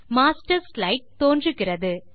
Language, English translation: Tamil, The Master Slide appears